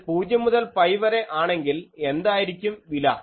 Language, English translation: Malayalam, So, if it is 0 to pi, then what is the value